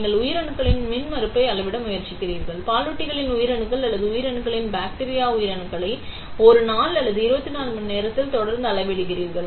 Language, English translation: Tamil, Let us say you are trying to measure the impedance of live cells, live mammalian or cells live bacterial cells and you are continuously measuring it over a period of 1 day or 24 hours